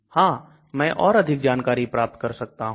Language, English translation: Hindi, Yeah so I can get more information